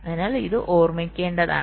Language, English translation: Malayalam, ok, so this has to be remembered now